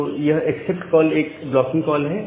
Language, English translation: Hindi, So, this accept call is a blocking call